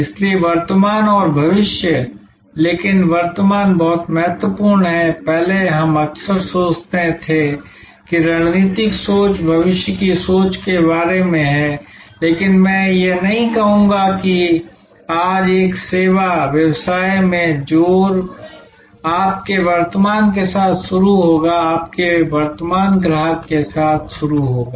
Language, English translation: Hindi, So, the present and the future, but the present is very important earlier we often used to think strategic thinking is about future thinking, but no I would say today emphasis in a service business will be start with your present, start with your current customer, start with your present position and see that how you can make that position unassailable